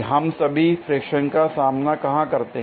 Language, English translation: Hindi, Where all do we encounter friction